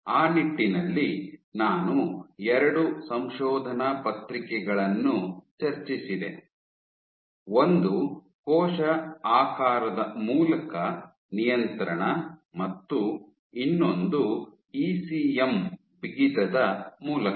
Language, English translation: Kannada, So, in that regard, I discussed two papers; one was regulation through cell shape and the other was through ECM stiffness